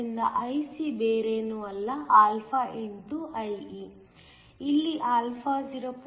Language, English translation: Kannada, So, IC is nothing but α x IE; here α is value of 0